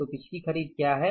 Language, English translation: Hindi, So, what are the previous months purchases